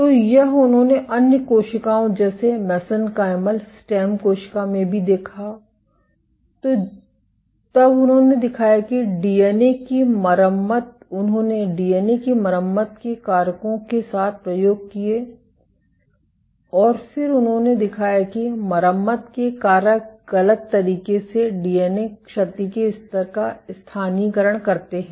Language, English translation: Hindi, So, and this they also observed in other cells like mesenchymal stem cells, what they then demonstrated that the DNA repair, they did experiments with DNA repair factors and then they showed that repair factors mis localise with DNA damage levels ok